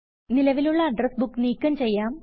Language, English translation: Malayalam, Delete an existing Address Book